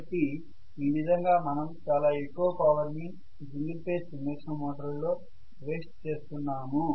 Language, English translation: Telugu, So we are really wasting a huge amount of power in single phase induction motor